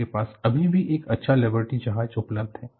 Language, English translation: Hindi, You still have a nice Liberty ship available